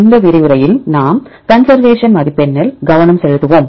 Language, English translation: Tamil, In this lecture we will focus on Conservation Score